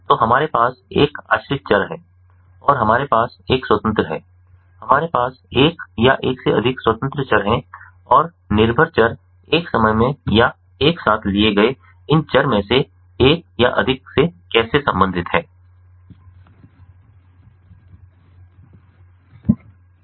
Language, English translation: Hindi, ah, we have one or more independent variables and how the dependent variable relates to one or more of this variables taken at a time or taken together